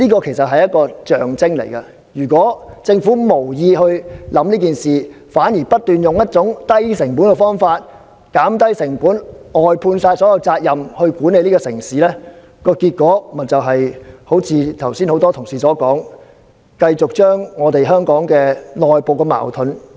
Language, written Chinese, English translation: Cantonese, 這是一種象徵意義，如果政府無意考慮這方面，反而不斷用一種以低成本為目標的方法來減低成本、外判所有責任來管理這個城市，結果就會像剛才很多同事所說，不斷激化香港的內部矛盾。, This can actually convey a symbolic meaning . If the Government has given no consideration to the above question but has on the contrary tried in every way to achieve the objective of keeping the cost down as far as possible and kept outsourcing its services when administering the city this will only serve to as asserted by many fellow colleagues just now incessantly intensify the internal conflicts of Hong Kong